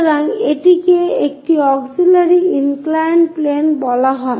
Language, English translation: Bengali, So, we call that one as auxiliary inclined plane